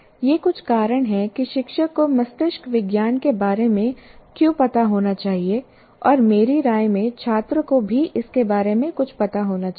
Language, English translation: Hindi, Now that is, these are some reasons why, why teachers should know about brain science and in my opinion even the students should know something about it